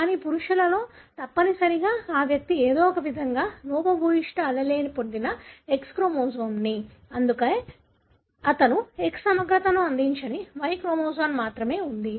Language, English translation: Telugu, But, invariably in case of male if that individual somehow received the X chromosome which has got the defective allele he would end up showing the phenotype, because there is only Y chromosome that doesn’t really complement the X